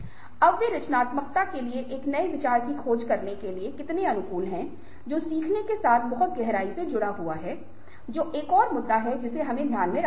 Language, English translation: Hindi, now, how conducive are they to exploring new ideas, to creativity, which is very deeply linked with learning is another issue that we need to have in mind